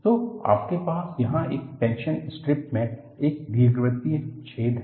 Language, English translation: Hindi, So, what you have here is, in a tension strip you have an elliptical hole